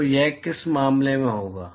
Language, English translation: Hindi, So, in which case what will this be